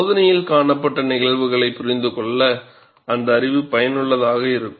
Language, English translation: Tamil, That knowledge would be useful, to understand the phenomena observed in the experiments